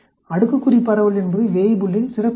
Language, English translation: Tamil, The exponential distribution is a special case of Weibull